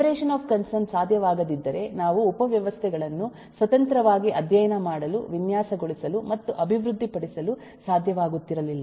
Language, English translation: Kannada, if the separation of concern was not possible then we would not have been able to study, design and develop the subsystems independently